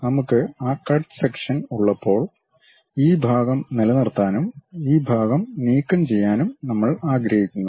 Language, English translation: Malayalam, So, when we have that cut section; we would like to retain this part, remove this part